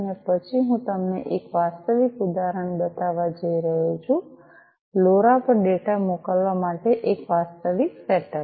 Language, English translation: Gujarati, And then I am going to show you a real example, a real set up for sending data over LoRa so that I am going to show next